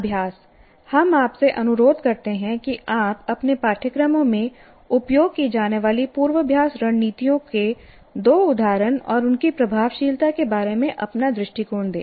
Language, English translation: Hindi, So as an exercise, we request you to give two instances of rehearsal strategies that you actually used in your courses and your view of their effectiveness